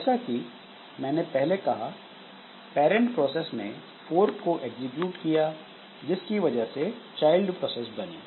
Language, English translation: Hindi, As I said that this parent process is there which executed the fork but due to the execution of fork the child process is created